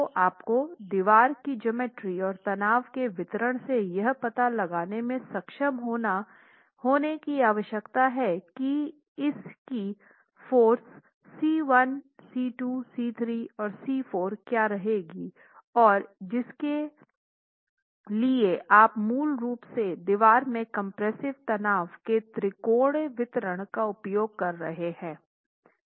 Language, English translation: Hindi, So you need to be able to make an estimate from the geometry of the distribution of stresses and the geometry of the wall what the resultant forces C1, C2, C3 and C4 are for which you basically making use of the triangular distribution of compressive stresses in the wall